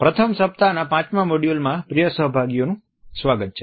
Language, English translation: Gujarati, Welcome dear participants to the 5th module of the first week